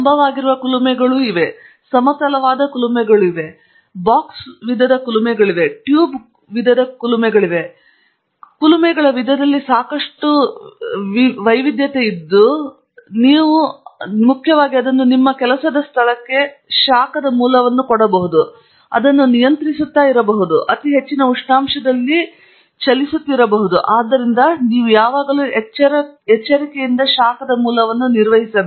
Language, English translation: Kannada, There are also furnaces which are vertical, there are furnaces which are horizontal, there are box type furnaces, there are tube type furnaces; so lot of variety in the type of furnaces that you have there, but principally they bring into your work place a source of heat which could be controlled, which would be running at a very high temperature, and therefore, you need be careful when you handle that source of heat